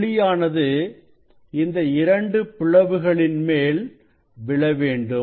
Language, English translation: Tamil, this light should fall on the both slit